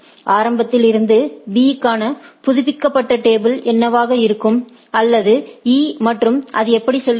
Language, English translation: Tamil, What will be the updated table for B from the initially or E and how it goes on right